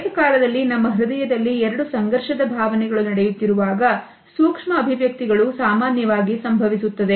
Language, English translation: Kannada, Micro expressions occur normally when there are two conflicting emotions going on in our heart simultaneously